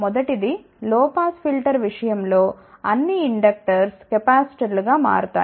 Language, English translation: Telugu, First is all inductors in case of low pass filter will become capacitors